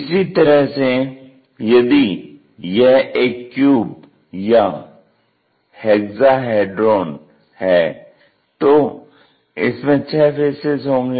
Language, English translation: Hindi, Similarly, if it is a cube or hexahedron, we have the six faces cube by definition equal side faces